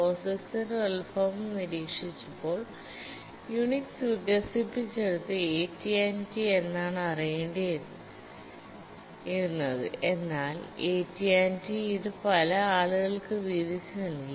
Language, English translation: Malayalam, If we look at the origin of POGICS, it had to arise because Unix once it was developed by AT&T, it gave it free to many recipients